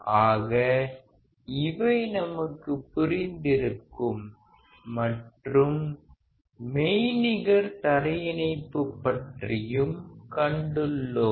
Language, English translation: Tamil, So, that we have understood and we have also seen about the virtual ground